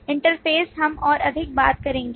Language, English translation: Hindi, Interfaces we will talk about more